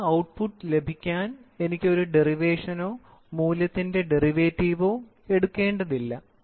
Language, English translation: Malayalam, So, I do not have to change or take a derivation or take a derivative of the value to get a final output